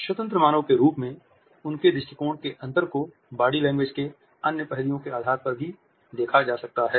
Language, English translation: Hindi, The differences in their attitudes as independent human beings can also be seen on the basis of the other aspects of body language